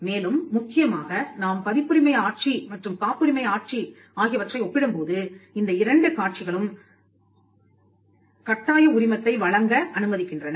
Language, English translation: Tamil, And more importantly when you compare copyright regime and the patent regime, those two regimes allow for the issuance of a compulsory license